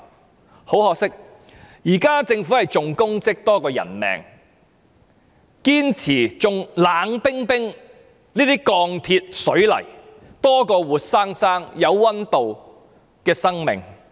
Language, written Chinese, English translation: Cantonese, 但很可惜，現時政府重功績多於人命，重視這些冷冰冰的鋼鐵水泥，多於活生生有溫度的生命。, Regrettably the Government attaches greater importance to achieving results than saving human lives . It finds those icy - cold steel and cement structures dearer than the lives of living beings